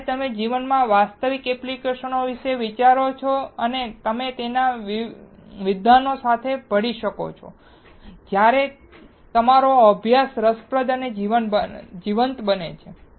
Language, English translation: Gujarati, When you think about the actual applications in life with your and merge it with your academics, your studies becomes interesting and lively